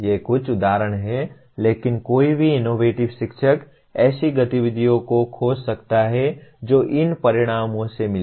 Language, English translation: Hindi, These are some examples, but any innovative teacher can find activities that would meet these outcomes